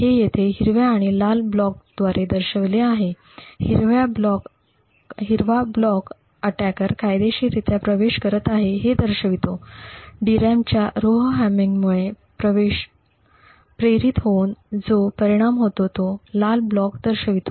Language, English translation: Marathi, So this is represented here by these green and red blocks, the green block show what the attacker is legally accessing, while the red block show what show the effect of falls induced due to the Rowhammering of the DRAM